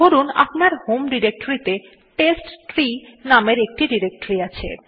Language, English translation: Bengali, So say you have a directory with name testtree in your home directory